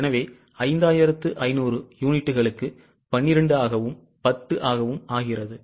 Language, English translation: Tamil, So, for 5,500 units into 12 and into 10